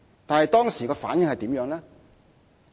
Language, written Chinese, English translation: Cantonese, 但是，當時得到的反應如何？, However what were the responses of the community?